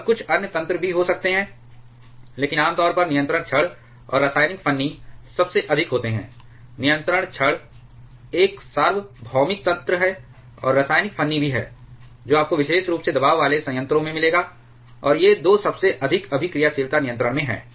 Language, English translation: Hindi, And there can be few other mechanisms also, but generally control rods and chemical shim are the most, control rod is a universal mechanism and chemical shim is also you will find particular in pressurized water reactors, and these 2 at the most common of reactivity control